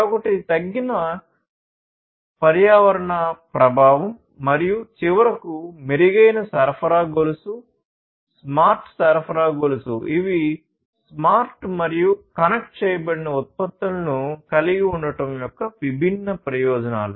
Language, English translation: Telugu, Decreased environmental impact is the other one and finally, improved supply chain; smart supply chain, these are the different benefits of having smart and connected products